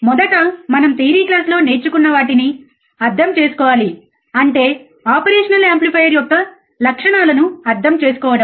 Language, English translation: Telugu, First we should start understanding what we have learned in the theory class; that is, understanding the characteristics of an operational amplifier